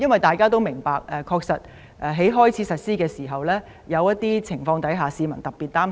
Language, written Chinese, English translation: Cantonese, 大家都明白，在經修訂的法例開始實施時，有些情況會令市民特別擔心。, We all understand that when the amended legislation comes into operation there will be circumstances of particular concern to the public